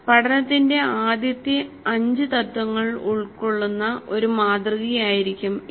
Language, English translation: Malayalam, It will be a model which incorporates all the five first principles of learning